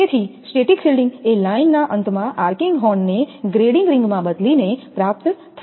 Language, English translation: Gujarati, So, static shielding can be possible by changing the arcing horn at the line end to a grading ring